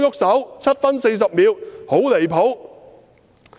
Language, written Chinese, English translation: Cantonese, 7分40秒：我說"很離譜"。, At 7 minute 40 second I said It is outrageous